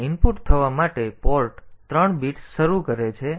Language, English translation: Gujarati, So, this initializes port 3 bits to be input